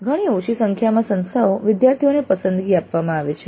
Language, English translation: Gujarati, A very small number of institutes do offer a choice to the students